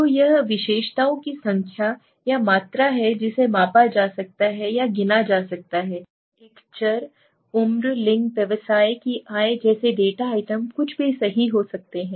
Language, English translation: Hindi, So it is the characteristics number or the quantity that can be measured or counted, a variable may be a data item like age, sex, business income anything right